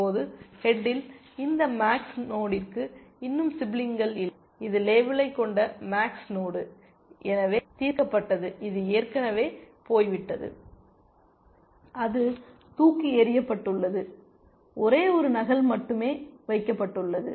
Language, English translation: Tamil, Now, there are no more siblings left for this max node at the head is the max node with the label solved so, this is already gone away actually, it is been thrown away, only one copy is been kept it is